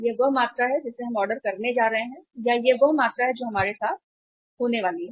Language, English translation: Hindi, This is the quantity we are going to order or this is the quantity which is going to be there with us